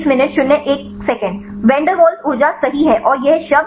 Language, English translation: Hindi, van der Walls energy right and this term electrostatic